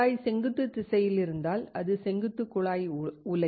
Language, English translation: Tamil, If tube is in vertical direction, vertical tube furnace